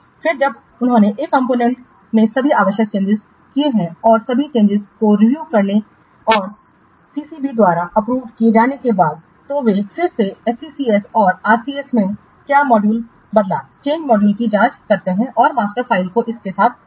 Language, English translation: Hindi, Then after they have made all the necessary changes to a component and after all the changes have been reviewed and approved by CCB, then they can again check in what the change module into the SCCC and RCS and the master file is replaced with this what changed module